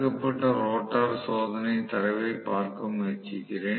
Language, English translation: Tamil, So, let me try to look at the blocked rotor test data